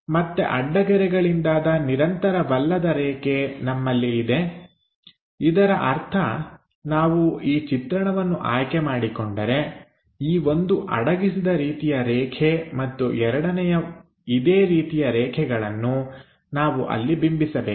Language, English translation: Kannada, So, again we will have dash lines; that means, if we are picking this view one hidden line and second hidden lines we have to represent there